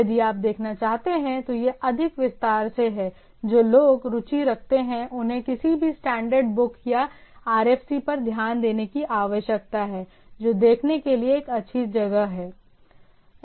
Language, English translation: Hindi, So, these are more in detail if you want to look at, those who are interested look need to be looked into the any standard book or RFC maybe a good place a look at